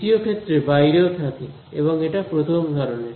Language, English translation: Bengali, In the second one it is also outside and it is a first kind